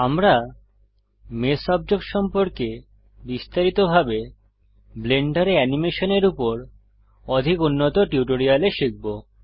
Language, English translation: Bengali, We will learn about mesh objects in detail in more advanced tutorials about Animation in Blender